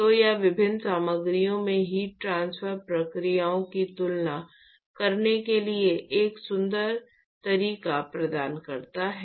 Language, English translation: Hindi, So, this provides an elegant method to compare the heat transport processes across different materials